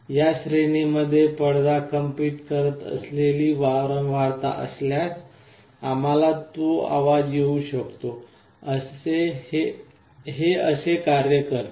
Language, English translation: Marathi, If there is a frequency with which the diaphragm is vibrating in this range, we will be able to hear that sound; this is how it works